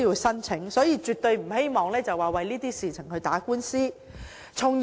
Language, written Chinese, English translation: Cantonese, 因此，我絕對不希望申索人為此事打官司。, Hence I absolutely do not hope that the claimants will file a lawsuit over their claim